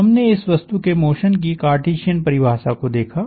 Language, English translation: Hindi, We looked at Cartesian definition of the motion of this object